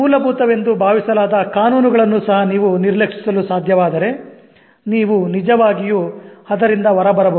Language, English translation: Kannada, If you're able to ignore even the loss which are supposed to be fundamental, you can actually come out of that